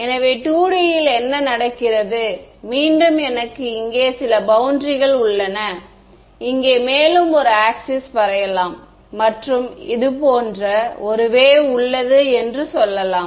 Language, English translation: Tamil, So, what happens in 2D right so, again it is something like this, I have some boundary over here and let us draw the an axis over here and let us say that there is a wave that is travelling like this